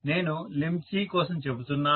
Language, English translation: Telugu, I mean for the limb C